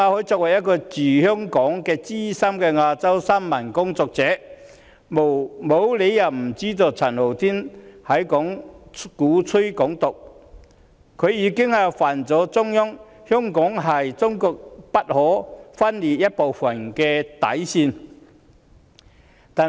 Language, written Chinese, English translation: Cantonese, 作為一位駐港資深新聞工作者，馬凱沒有理由不知道陳浩天鼓吹"港獨"，已觸犯中央的底線——香港是中國不可分離的一部分。, As a senior journalist stationed in Hong Kong there is no reason why Victor MALLET does not realize that Andy CHANs advocacy of Hong Kong independence has violated the Central Authorities bottom line ie . Hong Kong is an inalienable part of China